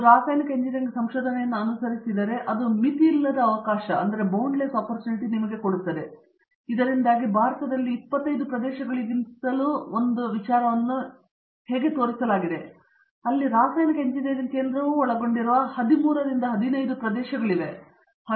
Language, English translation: Kannada, With that in mind if you approach chemical engineering research you can see boundless sort of opportunities and that is why we showed you how a make in India also out of 25 area, there are 13, 15 areas where chemical engineering is centrally involved